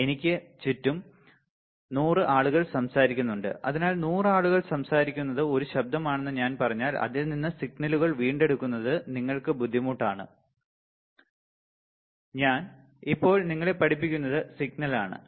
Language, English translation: Malayalam, And then there are there are 100 people around me who are talking, so it is it is difficult for you to retrieve the signals from, if I say that the 100 people talking is a noise, and what I am teaching you right now is a signal